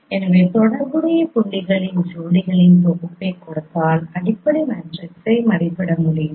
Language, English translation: Tamil, So given a set of pairs of corresponding points it is possible to estimate fundamental matrix